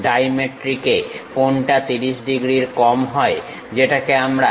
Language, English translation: Bengali, In dimetric, this angle is lower than 30 degrees, which we call 15 degrees on one side